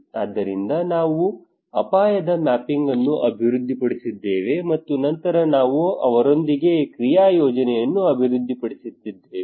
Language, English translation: Kannada, So we developed risk mapping and then over the period of time we developed an action plan with them